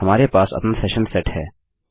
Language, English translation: Hindi, We have our session set